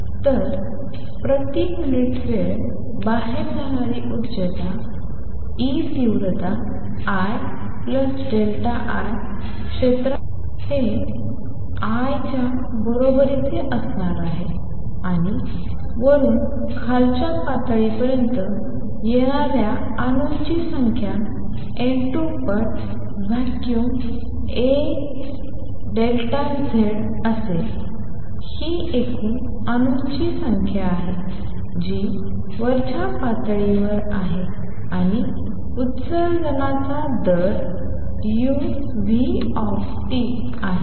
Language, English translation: Marathi, So, per unit time energy going out is going to be E intensity I plus delta I going across the area a is going to be equal to I a plus the number of atoms which are coming from upper to lower level is going to be N 2 times the volume a delta Z; that is a total number of atoms that are in the upper level and the rate of emission is u nu T